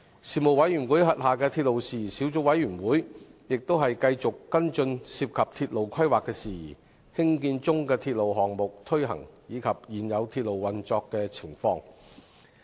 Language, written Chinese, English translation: Cantonese, 事務委員會轄下的鐵路事宜小組委員會，亦繼續跟進涉及鐵路規劃的事宜、興建中的鐵路項目推行，以及現有鐵路運作的情況。, The Subcommittee on Matters Relating to Railways under the Panel also continued to follow up on matters relating to railway planning the implementation of railway projects under construction and the operation of existing railways